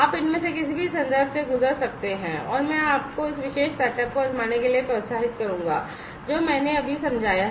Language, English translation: Hindi, You could go through any of these references, and I would encourage you to try out this particular setup, that I have just explained